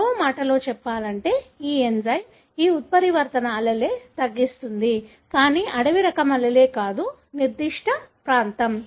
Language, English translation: Telugu, In other words, this enzyme would cut this mutant allele, but not the wild type allele, that particular region